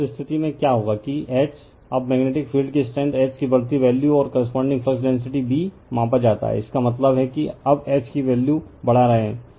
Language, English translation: Hindi, So, in that case, what will happen that your H, now increasing values of magnetic field strength H and the corresponding flux density B measured right, so that means, you are increasing the H value now